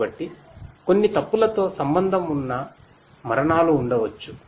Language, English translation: Telugu, So, there might be deaths that might be associated with certain mistakes